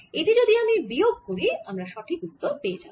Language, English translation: Bengali, if i subtract this, i should get the right answer and that's my answer